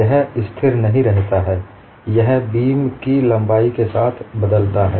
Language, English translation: Hindi, It is not remaining constant; it is varying along the length of the beam